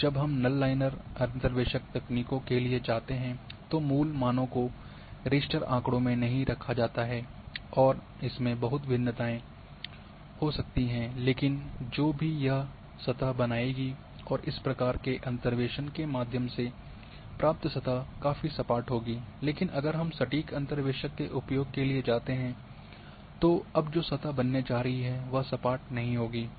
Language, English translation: Hindi, And when we go for null linear interpolation techniques then we the original values are not kept in the raster data and there lot of variations might be there but the surface which it will create and through this type of interpolation is going to be quietly smooth, but if we go for exact interpolator then surface it is going to create is not going to be the smooth